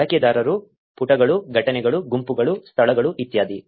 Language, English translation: Kannada, Users, pages, events, groups, places etcetera